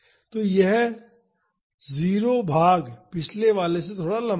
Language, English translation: Hindi, So, this 0 portion is little longer than the previous one